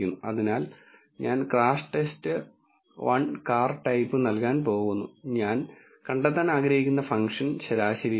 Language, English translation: Malayalam, So, I am going to give crashTest underscore 1 dollar car type and the function I want to find is the mean